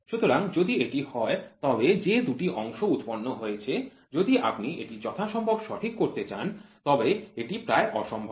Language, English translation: Bengali, So, if that is the case then any two parts produced if you want to make it as accurate as possible they it is next to impossible